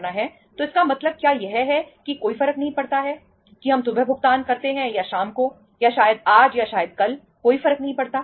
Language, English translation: Hindi, So it means is is it does not make the difference whether we make the payment in the morning, or in the evening, or maybe today or maybe tomorrow, does not does not make the difference